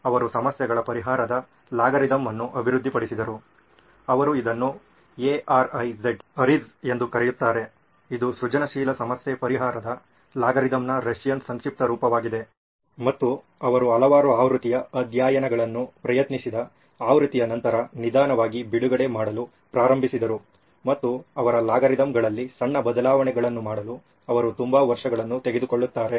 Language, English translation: Kannada, He developed an algorithm of problem solving, he called it ARIZ is the Russian acronym for algorithm of inventive problem solving and he slowly started releasing version after version he tried it several case studies, he would take painstakingly take so many years to make small changes to his algorithm